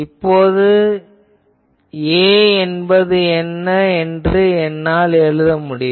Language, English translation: Tamil, Now, I can write that what is A